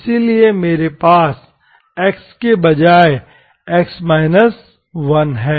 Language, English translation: Hindi, So I have x minus1 instead of x